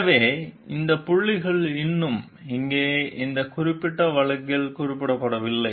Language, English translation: Tamil, So, these points have not been mentioned in this particular case still here